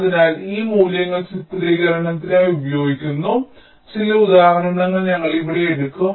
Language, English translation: Malayalam, so here we shall be taking some examples which we are using these values for illustrations